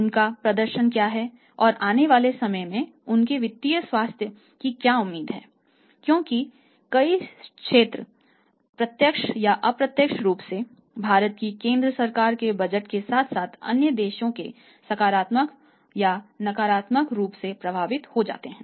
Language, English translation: Hindi, What is their performance and what is their say financial health expected to be in the time to come, because many sectors are directly or indirectly positively or negatively affected by the budget of the central government of India as well as the other countries